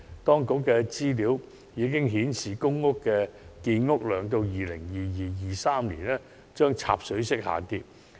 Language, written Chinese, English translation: Cantonese, 當局資料已經顯示，公屋建屋量在 2022-2023 年度將插水式下跌。, According to the information from the Government public rental housing production will take a nosedive in 2022 - 2023